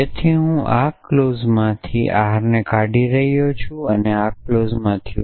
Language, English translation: Gujarati, So, from this clause I am removing R and from this clause I am removing not of R